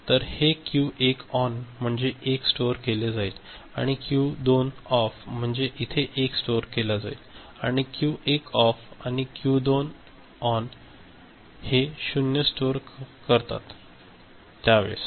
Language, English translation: Marathi, So, this is the Q1 ON is storage of 1, and Q1 ON, Q2 OFF that is storage of 1; and Q1 OFF and Q2 ON is storage of 0